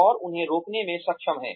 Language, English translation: Hindi, And, they are able to prevent them